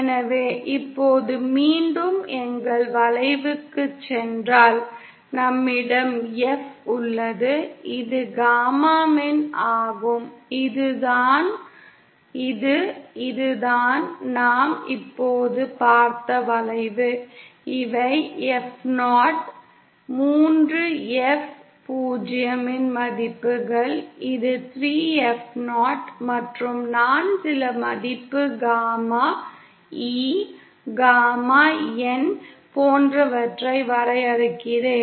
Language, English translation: Tamil, So now if we go back once again to our curve, so we have F this is magnitude gamma E, this is , this is the curve that we just saw and these are the values of F0, 3 F 0, this is 3F0, and then I define certain value gamma E, gamma N like this